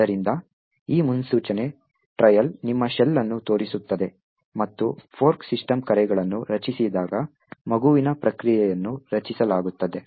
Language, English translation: Kannada, So, this predictor trail shows your shell and when the fork system calls get created is, at child process gets created